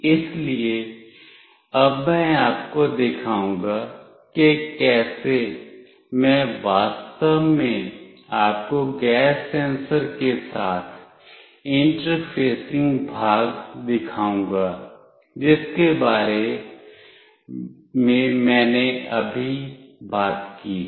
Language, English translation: Hindi, So, now I will be showing you how I will actually demonstrate you the interfacing part with the gas sensor which I have talked about just now